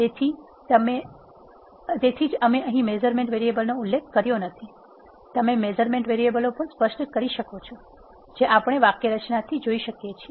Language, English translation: Gujarati, So, that is why we did not specify measurement variables here, you can also specify the measurement variables, as we can see from the syntax